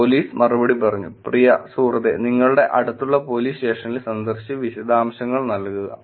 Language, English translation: Malayalam, Police replied: dear please visit at your nearest police station and give the details